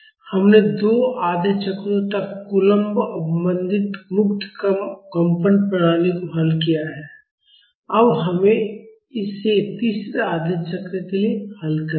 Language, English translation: Hindi, We have solved the coulomb damped free vibration system up to 2 half cycles; now we will solve it for the third half cycle